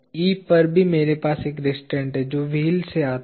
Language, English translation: Hindi, At E also I have one restraint that comes from the wheel